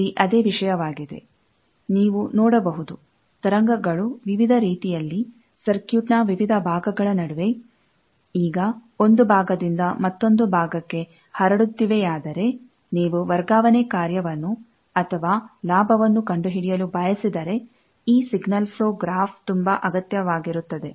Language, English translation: Kannada, The same thing here; we see that, if we know the wave is propagating with, in various ways, between various parts of a circuit, now, from one part to another part, if you want to find the transfer function, or the gain then this signal flow graph is very much needed